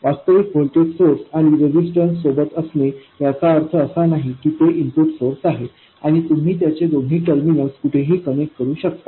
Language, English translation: Marathi, It doesn't mean that the input source is actually a voltage source with a resistance and you can connect its two terminals anywhere you want